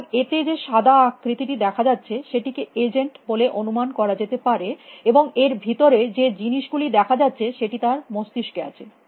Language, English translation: Bengali, So, that white figure at it is supposed to be the agent, and the thing inside that is what is in the head of the agent